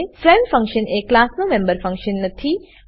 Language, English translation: Gujarati, A friend function is not a member function of the class